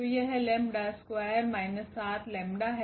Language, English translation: Hindi, So, this is lambda square minus this 7 lambda